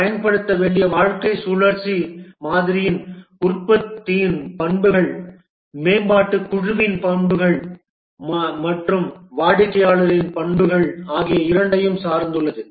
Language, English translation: Tamil, The lifecycle model to be used depends on both the characteristics of the product, the characteristics of the development team and also the characteristics of the customer